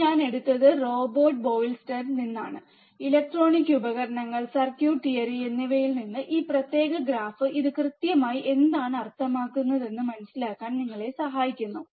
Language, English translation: Malayalam, this I have taken from Robert Boylestad, Electronic Devices and Circuit Theory, this particular graph, just to help you understand what exactly this means